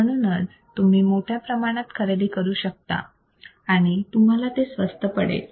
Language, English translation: Marathi, So, you can buy in bulk and this is really cheap